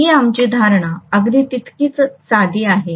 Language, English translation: Marathi, This is our assumption as simple as that